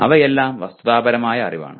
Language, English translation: Malayalam, Even that is factual knowledge, okay